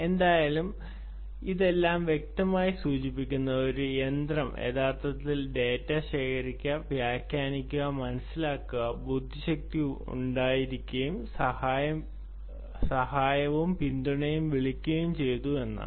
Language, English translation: Malayalam, anyway, all of this clearly indicates that a machine was actually collecting data, interpreting, understanding, having intelligence and calling out, ah, you know, help and support